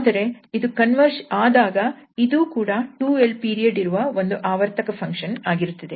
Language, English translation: Kannada, But if this converges, in that case if it converges this also represents a function of period 2l